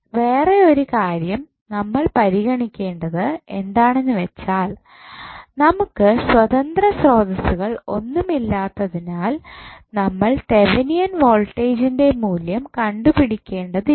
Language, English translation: Malayalam, Now, another thing which we have to consider is that since we do not have any independent source we need not to have the value for Thevenin voltage, why